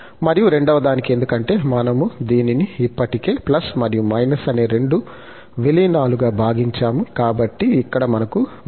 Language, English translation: Telugu, And, then for the second one, because we have already splitted into two, two incorporate, plus and minus, so, here, we have the c minus n